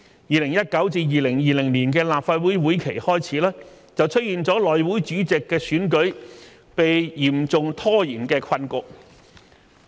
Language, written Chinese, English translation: Cantonese, 2019-2020 年度立法會會期開始，出現了內務委員會主席的選舉被嚴重拖延的困局。, Shortly after the 2019 - 2020 Legislative Council session was commenced we saw the predicament concerning the election of the Chairman of the House Committee which was seriously delayed